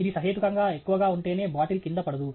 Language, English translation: Telugu, Only if it is reasonably high, the bottle will not fall down